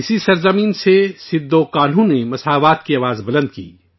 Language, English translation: Urdu, From this very land Sidhho Kanhu raised the voice for equality